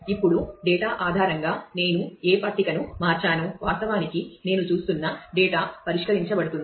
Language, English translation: Telugu, Now, based on the data the switching of which table I am I am actually looking the data from will get solved